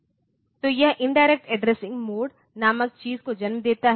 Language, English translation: Hindi, So, this gives rise to something called the indirect addressing mode